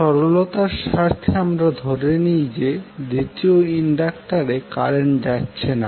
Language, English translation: Bengali, For the sake of simplicity let us assume that the second inductor carries no current